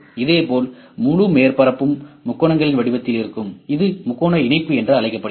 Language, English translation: Tamil, Similarly, the whole surface would be in the form of the triangles, this is known as triangle mesh